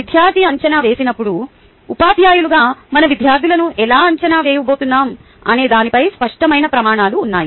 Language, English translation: Telugu, when student goes through assessment, we, as a teacher, have clear criteria on how we are going to evaluate our students